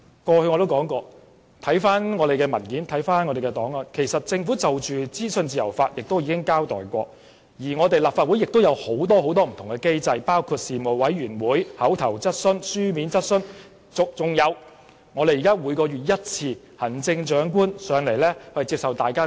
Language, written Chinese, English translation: Cantonese, 過去我也說過，很多文件及檔案顯示，政府之前已就資訊自由法交代過，立法會亦設有很多不同機制，包括事務委員會、口頭質詢、書面質詢，還有每月一次的行政長官質詢時間。, As I said in the past it has been indicated in many documents and files that the Government had given an account on legislating for freedom of information . The Legislative Council has also put in place various mechanisms including Panels oral questions written questions and also monthly Question Time with the Chief Executive